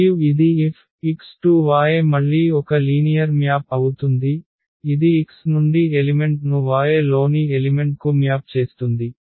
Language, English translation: Telugu, And this let F again be a linear map which maps the elements from X to the elements in Y